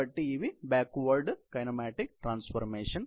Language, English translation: Telugu, So, these are the backward kinematic transformations